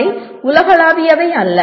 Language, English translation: Tamil, They are not universal